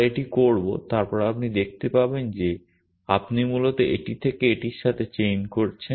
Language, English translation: Bengali, We will look at this then you can see that you are essentially chaining from this to this